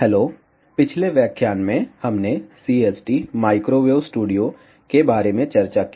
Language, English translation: Hindi, In the last lecture, we discussed about CST microwave studio